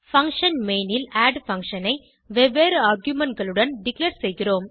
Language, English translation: Tamil, In function main we declare the add function with different arguments